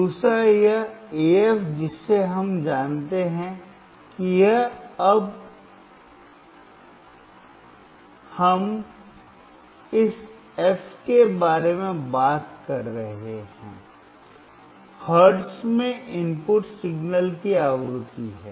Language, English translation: Hindi, Second, this AF we know now we are talking about this f is the frequency of the input signal in hertz